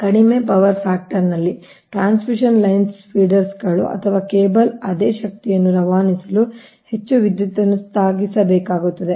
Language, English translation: Kannada, at low power factor, the transmission lines, feeders or cable have to carry more current for the same power to be transmitted